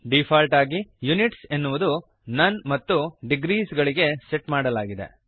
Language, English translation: Kannada, By default, Units is set to none and degrees